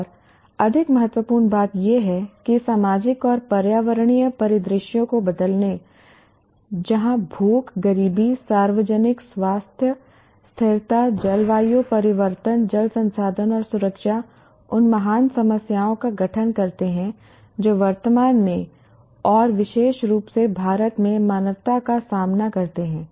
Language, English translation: Hindi, And more importantly, changing social and environmental scenarios where hunger, poverty, public health, sustainability, climate change, water resources and security constitute the great problems that face the humanity in general and particularly in India at present